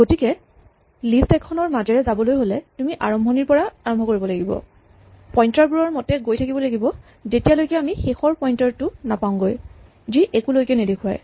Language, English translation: Assamese, So, in order to go through the list we have to start at the beginning and walk following these pointers till we reach the last pointer which points to nothing